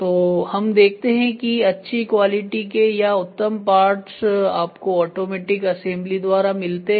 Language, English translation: Hindi, So, if you look at this the best part or quality parts are got from automatic assembly only